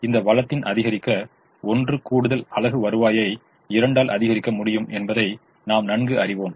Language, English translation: Tamil, so i know that this one extra unit of this resource can increase the, the revenue by two